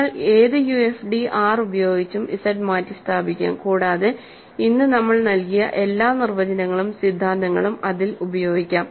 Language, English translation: Malayalam, You can replace Z by any UFD R, and all the definitions and theorems we gave today carry over to that